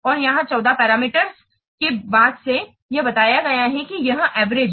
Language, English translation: Hindi, And here 14 parameters since it is told that this is average